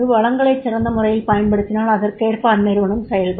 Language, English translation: Tamil, If there are the best utilization of resources, the organization will work accordingly